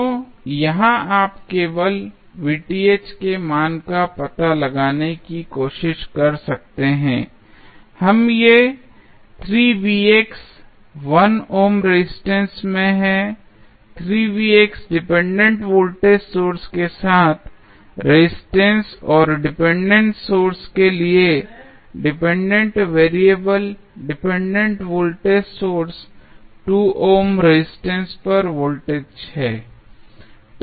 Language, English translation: Hindi, So, here you can just try to find out the value of Vth we are these 3 Vx is there in 1 ohm is the resistance along the 3 Vx dependent voltage source and the dependent variable for the depending source the dependent voltage sources the voltage across 2 ohm resistance